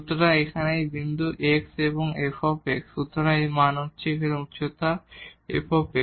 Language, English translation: Bengali, So, the point here is x and fx so, this value here the height is f x